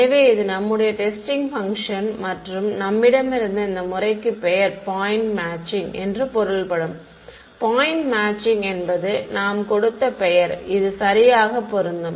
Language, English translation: Tamil, So, this was your testing function over here and the method we had I mean name for this was given as point matching what point matching was the name we have given right point matching ok